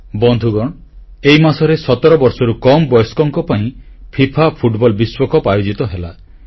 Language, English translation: Odia, Friends, the FIFA Under17 World Cup was organized this month